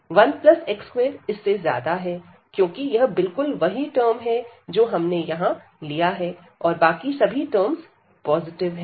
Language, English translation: Hindi, So, 1 plus x square this will be larger than this one, because this is exactly the same term we have taken here and all other are positive terms